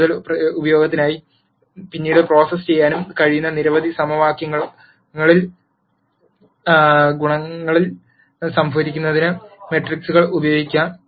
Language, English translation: Malayalam, Matrices can also be used to store coe cients in several equations which can be processed later for further use